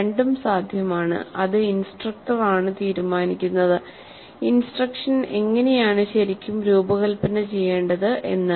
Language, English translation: Malayalam, Both are possible, it is up to the instructor how the instruction is really designed